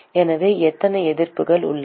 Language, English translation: Tamil, So, how many resistances are there